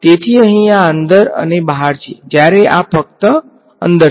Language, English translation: Gujarati, So, in and out and this is only in